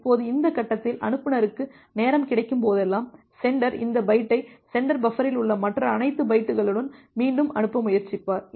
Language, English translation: Tamil, Now at this stage whenever the sender gets a time out, the sender will try to retransmit this byte along with all the other bytes which are there in the sender buffer